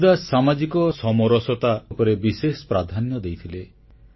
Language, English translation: Odia, Kabir Das ji laid great emphasis on social cohesion